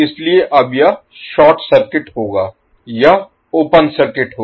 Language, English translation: Hindi, So now this will be short circuited, this will be open circuited